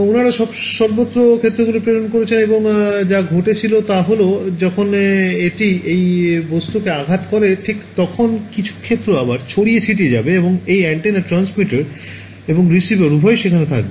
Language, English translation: Bengali, So, they are sending fields everywhere, and what happens is when it hits this object right some of the fields will get scattered back, and this antenna both transmitter and receiver both are there